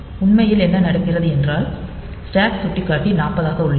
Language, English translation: Tamil, So, what happens actually is the since stack pointer is at 40